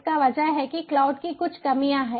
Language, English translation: Hindi, because cloud has certain deficiencies, you know